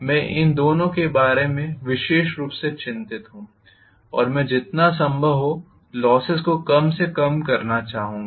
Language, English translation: Hindi, What I am worried specifically about are these two and I would like minimize the losses as much as possible, right